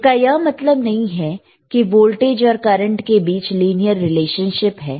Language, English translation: Hindi, we will see, b But that does not mean that voltage and current have linear relationship